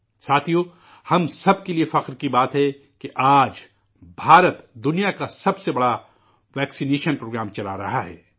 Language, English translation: Urdu, Friends, it's a matter of honour for everyone that today, India is running the world's largest vaccination programme